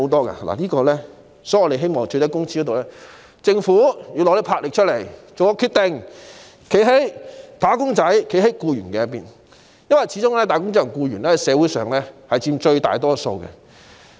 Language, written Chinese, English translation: Cantonese, 因此，在最低工資方面，我們希望政府展現魄力，作出決定，站在"打工仔"和僱員的一方，因為他們始終在社會上佔最大多數。, For this reason speaking of the minimum wage we hope that the Government can make a decision with enterprise and side with wage earners or employees because after all they are in the majority in society